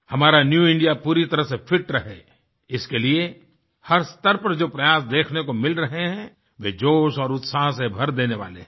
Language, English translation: Hindi, Efforts to ensure that our New India remains fit that are evident at every level fills us with fervour & enthusiasm